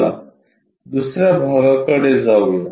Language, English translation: Marathi, Let us move on to the new example